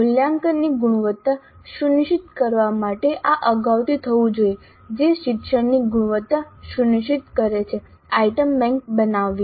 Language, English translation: Gujarati, This must be done upfront to ensure quality of assessment which ensures quality of learning, creating the item bank